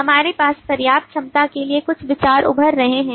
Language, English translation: Hindi, we have some idea emerging for the sufficiency as well